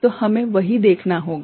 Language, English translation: Hindi, So, that is what we need to see